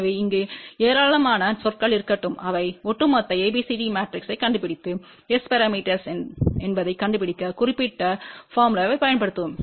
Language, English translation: Tamil, So, let there be n number of terms over here multiply all of those find overall ABCD matrix and then yes just use this particular formula to find out overall S parameter